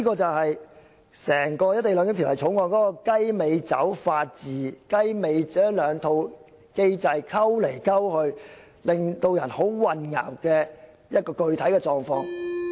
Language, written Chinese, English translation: Cantonese, 這就是整體《條例草案》的"雞尾酒式"法治，把中港兩套法制互相混合，令人感到混淆的具體狀況。, This general confusing condition is a result of the mixing of the two legal systems of China and Hong Kong to safeguard the cocktail rule of law of the entire Bill